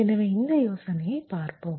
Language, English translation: Tamil, so the idea is like this